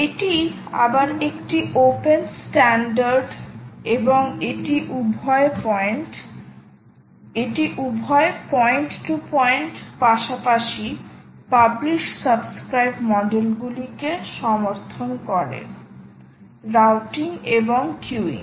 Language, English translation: Bengali, this is a open standard again, and it supports both point to point as well as publish, subscribe models, routing and queuing